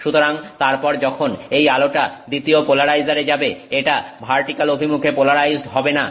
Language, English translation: Bengali, So, then when that light goes to the second polarizer, it is not polarized in the vertical direction